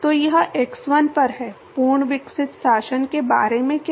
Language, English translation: Hindi, So, this is at x1, what about fully developed regime